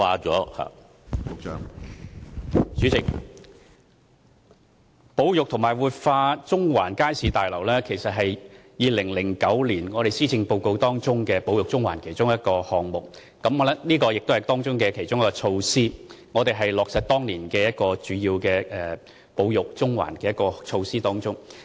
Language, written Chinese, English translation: Cantonese, 主席，保育和活化中環街市大樓是2009年施政報告提出"保育中環"的其中一個項目，也是其中一項措施，此舉是要落實當年"保育中環"的主要措施。, President conserving and revitalizing the Central Market Building was one of the items and also one of the measures proposed under the heading of Conserving Central in the 2009 Policy Address . This project under discussion seeks to implement the major measures under Conserving Central proposed in that year